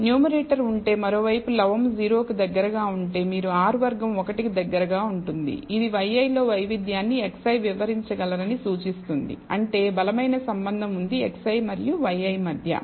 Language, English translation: Telugu, If on the other hand if the numerator is close to 0 and then you get R square close to 1 it implies that the x i can explain the variation in y i, which means there is a strong relationship between x i and y i